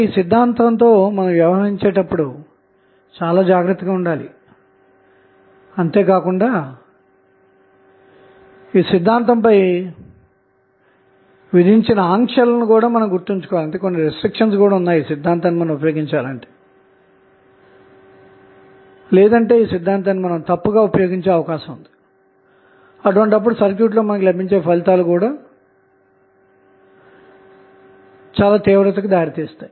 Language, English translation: Telugu, So, we have to be very careful when we deal with the reciprocity theorem and we have to keep remembering the restrictions which are imposed on the reciprocity theorem because if you do not follow then the reciprocity theorem you will use wrongly and that may lead to a serious erroneous result in the circuit